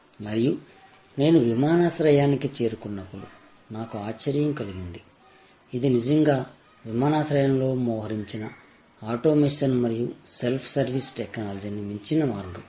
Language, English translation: Telugu, And when I reach the airport, I found to be surprise, this is actually goes a way beyond the kind of automation and self service technology that are deployed at our airports